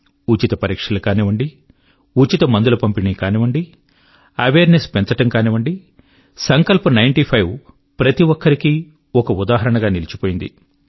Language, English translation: Telugu, Be it free medical tests, distribution of free medicines, or, just spreading awareness, 'Sankalp Ninety Five' has become a shining beacon for everyone